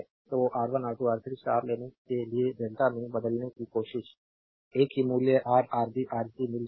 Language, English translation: Hindi, So, taking R 1 R 2 R 3 star try to convert to delta, same value will get Ra Rb Rc right